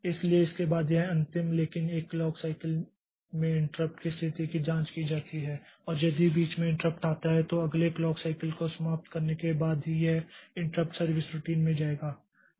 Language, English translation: Hindi, So, after if the last but one clock cycle the interrupt conditions are checked and if the interrupt is there then after finishing the next clock cycle only so it will be going into the interrupt service routine